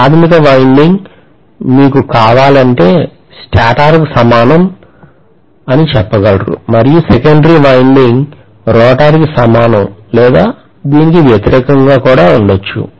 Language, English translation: Telugu, The primary is equivalent to the stator you can say if you want to and the secondary is equivalent to the rotor or vice versa